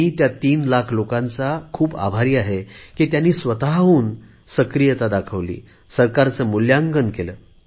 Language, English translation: Marathi, I am grateful to these 3 lakh people that they displayed a lot of self initiative in rating the government